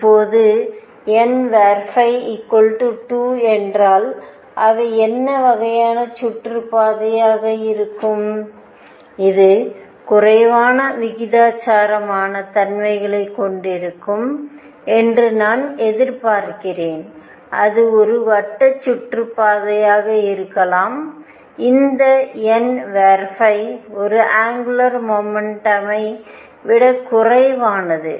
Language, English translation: Tamil, Now, what kind of orbits would they be if n phi is 2, I would expect this to have less eccentricities and that could be a circular orbit; n phi is one that is less of an angular momentum